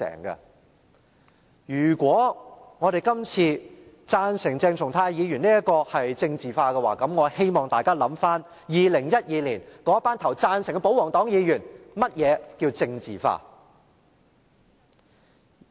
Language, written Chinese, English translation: Cantonese, 如果我們這次贊成鄭松泰議員的議案是政治化，我希望大家回想2012年投下贊成票的保皇黨議員，想想何謂政治化。, If our voting for Dr CHENG Chung - tais motion this time around is politicization I hope Members will recall why royalist Members cast affirmative votes in 2012 and think about what is meant by politicization